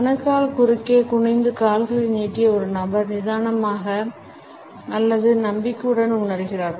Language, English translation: Tamil, A person sitting with legs stretched out stooped in ankles crossed is feeling relaxed or confident